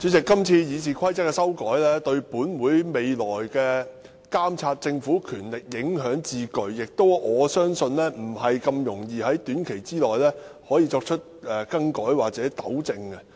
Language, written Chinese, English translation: Cantonese, 主席，這次《議事規則》的修訂對立法會未來監察政府的權力影響至巨，我相信難以在短期內更改或糾正。, President the proposed amendments to RoP will have far - reaching implication on the power of the Legislative Council to monitor the Government in the future which I believe can hardly be changed or rectified in the short run